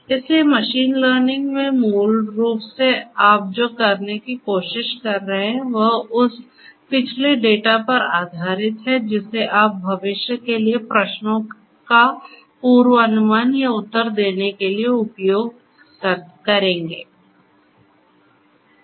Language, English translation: Hindi, So, we have, so, in machine learning basically what you are trying to do is based on the past data you are trying to predict or answer questions for the future, right